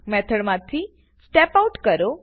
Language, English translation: Gujarati, Step Out of the method